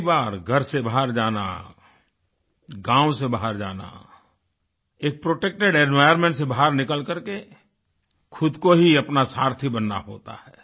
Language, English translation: Hindi, Leaving home for the first time, moving out of one's village, coming out of a protective environment amounts to taking charge of the course of one's life